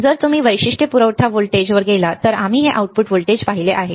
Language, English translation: Marathi, If you go to the characteristics supply voltage we have seen this output